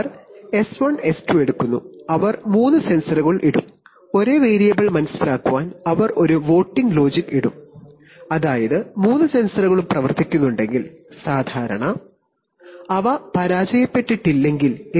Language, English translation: Malayalam, They takes S1, S2, they will put three sensors, suppose, to sense the same variable and then they will put a voting logic, that is, if all three of the sensors are working are normal, they have not failed then their readings are going to be very close, if any one of the sensor readings goes significantly away